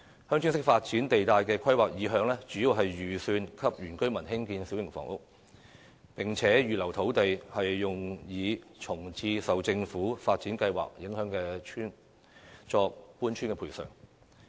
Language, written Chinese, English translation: Cantonese, "鄉村式發展"地帶內的土地，主要預留供原居民興建小型房屋，同時預留土地用作為安置受政府發展計劃影響的村民的搬遷補償。, The land zoned for Village Type Development is mainly reserved for the construction of small houses by indigenous villagers and also for rehousing the villagers affected by government development plans